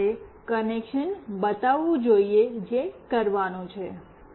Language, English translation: Gujarati, First let me show the connection that we have to do